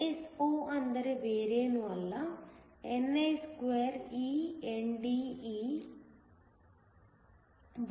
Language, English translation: Kannada, ISO is nothing, but ni2eNDeNAWB